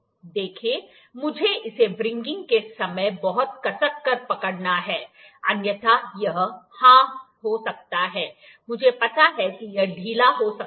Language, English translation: Hindi, See, I have to hold it very tightly while wringing, otherwise it might yeah I know it is loosen